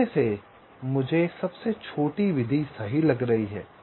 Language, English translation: Hindi, out of that i am finding the smallest method right